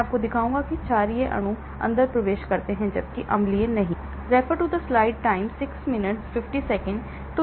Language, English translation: Hindi, I will show you that basic molecules can penetrate through, whereas not the acidic ones,